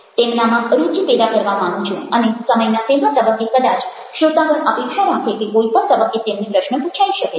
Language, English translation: Gujarati, i want to make it proactive, i want to get them interested and the audience might, at this point of time, expect that at any point, any moment, they would get question